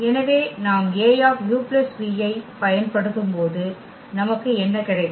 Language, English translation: Tamil, So, when we apply A on this u plus v what we will get